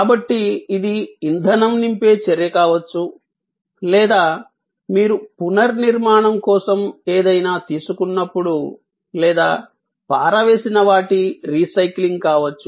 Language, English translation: Telugu, So, this could be the act of refueling or when you take something for refurbishing or maybe for disposal of a recycling